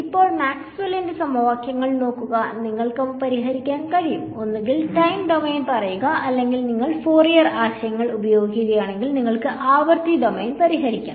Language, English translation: Malayalam, So, now, there are looking at the equations of Maxwell, you could solve them in let us say either the time domain or if you use Fourier ideas, you could solve them in the frequency domain ok